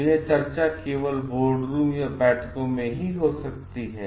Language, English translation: Hindi, So, these such discussions may happen only in board room or in meetings